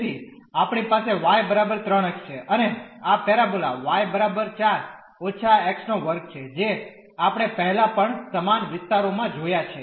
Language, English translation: Gujarati, So, we have y is equal to 3 x and this parabola is y is equal to 4 minus x square we have seen earlier also similar regions